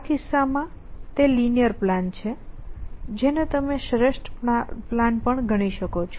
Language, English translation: Gujarati, In this case it terms out to be linear plan which you are also the optimal plan essentially